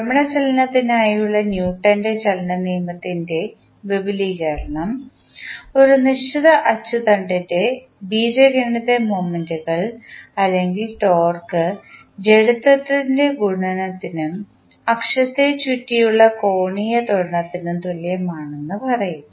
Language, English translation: Malayalam, The extension of Newton’s law of motion for rotational motion states that the algebraic sum of moments or torque about a fixed axis is equal to the product of the inertia and the angular acceleration about the axis